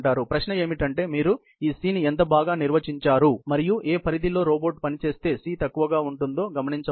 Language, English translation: Telugu, The question is how well defined you make this C, and what is the range within which, this robot will operate so that, C can minimize